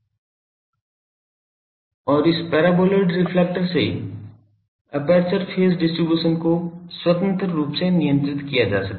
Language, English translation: Hindi, And by shaping the this paraboloid reflector aperture phase distribution can be controlled independently